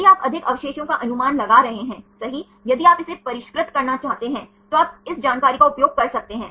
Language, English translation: Hindi, If you can more residues are predicted right if you want to refine it, then you can use this information